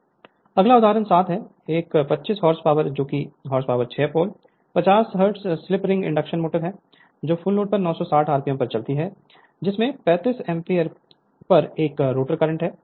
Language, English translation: Hindi, Next is example 7, a 25 h p, that is horse power 6 pole, 50 hertz, slip ring induction motor runs at 960 rpm on full load with a rotor current at 35 amp of 35 ampere